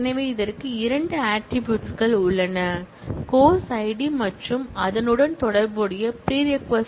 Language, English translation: Tamil, So, it has two attributes; the course id and the corresponding prerequisite id